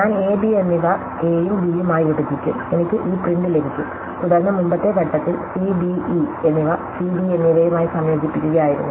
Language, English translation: Malayalam, I will split a, b as a and b, I will get this tree, then the previous step was to combine c, d e into c and d, e